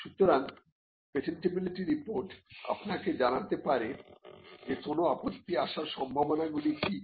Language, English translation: Bengali, So, a patentability report would let you know what are the chances of an objection that could come